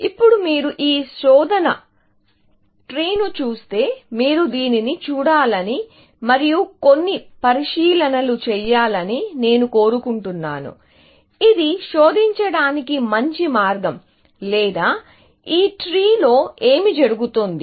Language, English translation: Telugu, Now, if you look at this search tree, I want you to look at this, and make some observations; is it a good way of searching, or what is happening in this tree